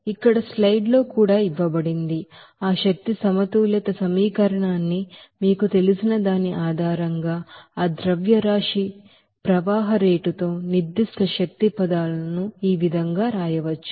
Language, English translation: Telugu, So here in this slides also it is given that, this how that energy balance equation can be written based on that you know, specific energy terms with that mass flow rate